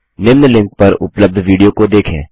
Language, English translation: Hindi, Watch the video available the following link